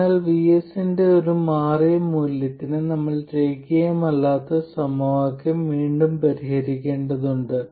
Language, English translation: Malayalam, So, for a changed value of VS, we had to solve the nonlinear equation all over again